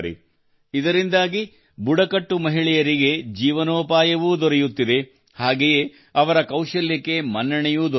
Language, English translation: Kannada, This is also providing employment to tribal women and their talent is also getting recognition